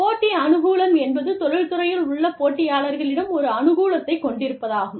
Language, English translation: Tamil, Competitive advantage means, having an advantage, over the competitors, in the industry